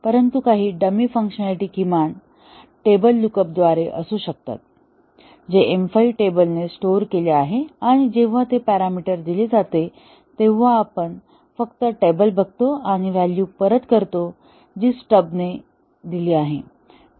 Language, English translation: Marathi, But at least some dummy functionality may be through a table look up we have stored what are the results that M 5 computes the form of a table, and when that parameter is given we just look up the table and return that value that is the work of the stub here